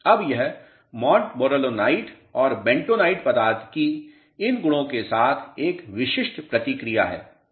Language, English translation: Hindi, Now, this is a typical response of a Montmorillonite and bentonite material with these properties